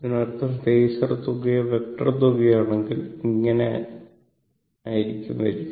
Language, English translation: Malayalam, That means, now if you go for phasor sum or now you do vector sum